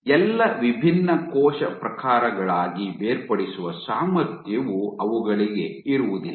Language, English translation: Kannada, Their ability to differentiate into all different cell types is not possible